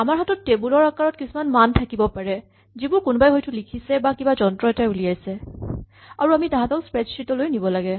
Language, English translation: Assamese, We might have tables of values which are typed in by somebody or generated by a device and we have to import them in a spreadsheet